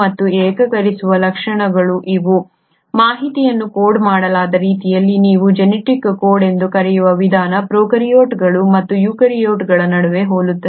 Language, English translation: Kannada, And the unifying features are these; the way in which the information is coded which is what you call as genetic code is similar between prokaryotes and eukaryotes